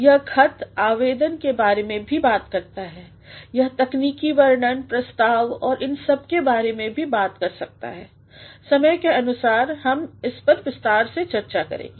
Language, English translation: Hindi, It also talks about letters, applications, it may also talk about technical descriptions, proposals and all depending upon the time factor we shall be discussing them in detail